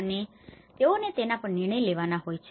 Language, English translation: Gujarati, And they have to take decisions on that